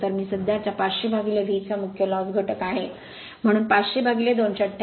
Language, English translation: Marathi, So, I i the core loss component of the current 500 by V, so 500 by 288